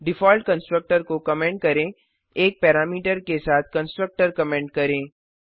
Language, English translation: Hindi, Comment the default constructor comment the constructor with 1 parameter